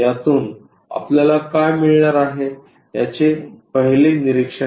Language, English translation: Marathi, This is the first observation what we will get from this